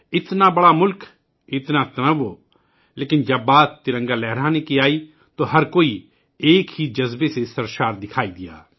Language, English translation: Urdu, Such a big country, so many diversities, but when it came to hoisting the tricolor, everyone seemed to flow in the same spirit